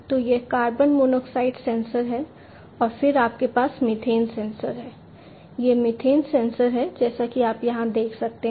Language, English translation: Hindi, So, this is the carbon monoxide sensor and then you have the methane sensor, this is the methane sensor, as you can see over here